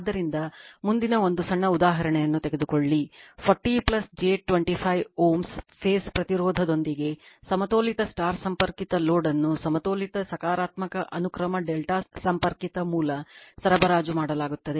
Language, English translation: Kannada, So, next you take one small example that a balanced star connected load with a phase impedance 40 plus j 25 ohm is supplied by a balanced, positive sequence delta connected source